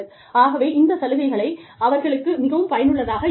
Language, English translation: Tamil, So, these things might be, more helpful for them